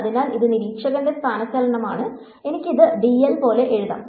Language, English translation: Malayalam, So, this is the observer’s displacement I can as well write this as something like dl